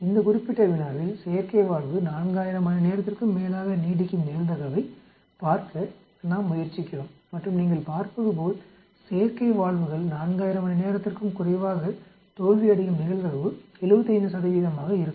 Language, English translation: Tamil, In this particular problem we are trying to look at probability that the artificial valve will last more than 4000 hours and as you can see here probability that artificial valves fail less than 4000 hours will be 75 percent